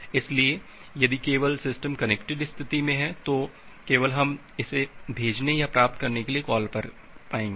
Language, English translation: Hindi, So, if only the system is in the connected state then only we will be able to make a call to this send or receive function